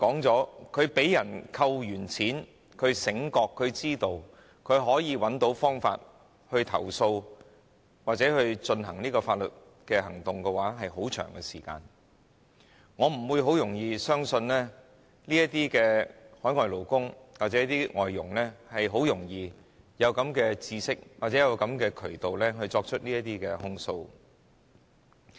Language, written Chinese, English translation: Cantonese, 這些被人扣取金錢的勞工從醒覺被剝削至知道和找到方法投訴或進行法律行動，這過程需要很長時間，我不會容易相信海外勞工或外傭很容易具備知識和找到渠道作出這些控訴。, For these workers who have been overcharged it takes them a very long time from becoming aware of their exploitation to knowing or finding a way to lodge a complaint or take legal actions . I am not readily convinced that a foreign worker or foreign domestic helper can readily have such knowledge and access to a channel to make these allegations